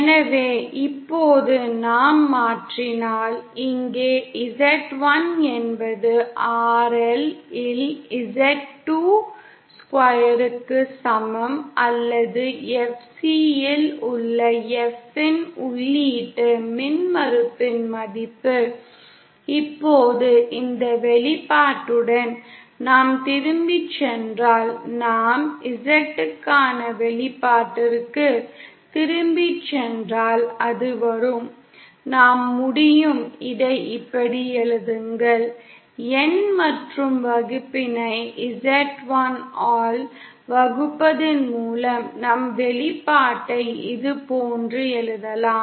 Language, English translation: Tamil, So now if we substitute; here Z1is equal to Z 2 square upon RL or the value of the input impedance at F equal to FCL, Now with this expression, if we go back to, no if we go back to the expression for Z in then it comes, we can we can write it like this; By dividing the numerator and denominator by Z1 we can write our expression like this